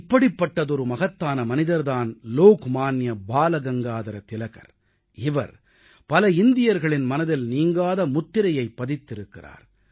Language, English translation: Tamil, One such great man has been Lok Manya Tilak who has left a very deep impression on the hearts of a large number of Indians